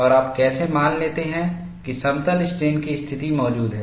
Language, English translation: Hindi, And how do you asses that plane strain condition exists